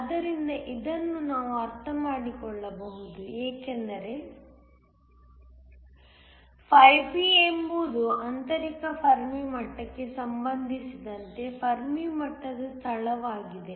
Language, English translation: Kannada, So, this we can understand because phi B is a location of the Fermi level with respect to the intrinsic Fermi level